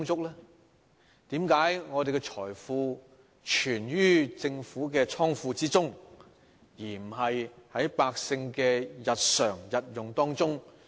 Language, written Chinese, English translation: Cantonese, 為何我們的財富存於政府的庫房，而不是用於百姓的日常生活？, Why is our wealth stored in the Governments coffers but not used for the benefit of the publics daily living?